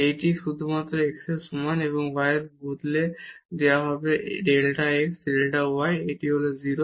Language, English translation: Bengali, This is equal to just the x and y will be replaced by delta x delta y, this is 0